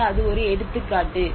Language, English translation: Tamil, So that is one example